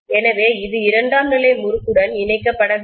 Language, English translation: Tamil, So it is not going to link with the secondary winding